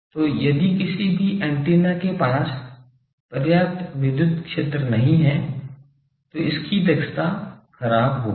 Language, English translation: Hindi, So, if any antenna is not having sufficient electrical area its efficiency will be poor